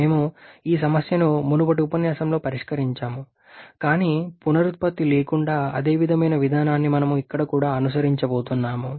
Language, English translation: Telugu, We have solved this problem the previous lecture, but without the regeneration so the similar procedure going to follow here also